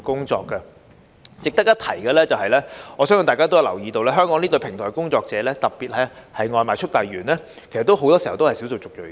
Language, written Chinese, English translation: Cantonese, 值得一提的是，我相信大家也有留意到，香港這類平台工作者，特別是外賣速遞員，其實不少都是少數族裔人士。, It is worth mentioning that as fellow Members may be aware many of these platform workers in Hong Kong especially takeaway delivery workers are actually people of ethnic minorities